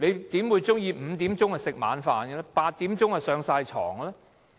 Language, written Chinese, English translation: Cantonese, 誰會喜歡5時吃晚飯 ，8 時便要上床睡覺呢？, Who would like to have dinner at 5col00 pm and go to bed at 8col00 pm?